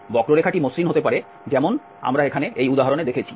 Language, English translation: Bengali, The curve can be smooth like the example we have seen here